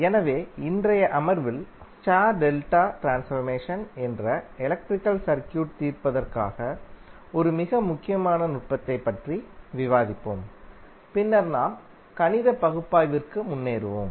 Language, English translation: Tamil, So in today’s session, we will discuss about 1 very important technique for solving the electrical circuit that is star delta transformation and then we will proceed for our math analysis